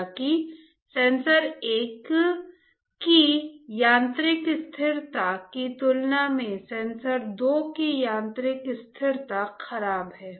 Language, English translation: Hindi, However, the mechanical stability of sensor two is poor compared to mechanical stability of sensor one all right